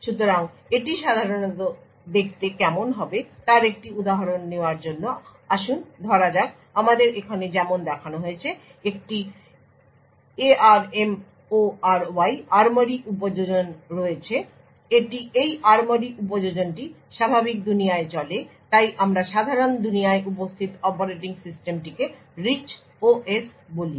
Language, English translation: Bengali, So just to take an example of how it would typically look like so let us say we have an ARMORY application as shown over here so the ARMORY application runs in the normal world so we call the operating system present in the normal world as the Rich OS